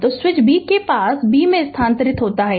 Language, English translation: Hindi, So, switch is close at B moved from B